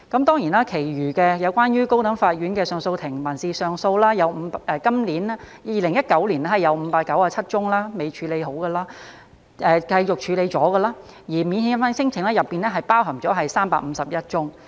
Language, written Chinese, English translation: Cantonese, 當然其餘有關高等法院的上訴法庭民事上訴方面 ，2019 年有597宗尚未完成處理......繼續處理的，而免遣返聲請佔當中351宗。, Of course regarding the remaining civil appeal cases at CA of the High Court 597 are pending in 2019 or still being dealt with 351 of which involve non - refoulement claims